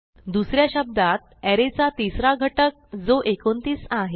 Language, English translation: Marathi, In other words, the third element in the array i.e.29